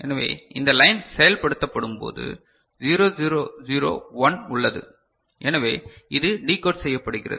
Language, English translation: Tamil, So, when this line is invoked 0 0 0 1 is present so, this is decoded